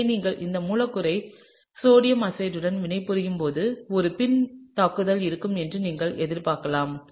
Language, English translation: Tamil, So, when you react this molecule with sodium azide, right so, you would expect that there would be a backside attack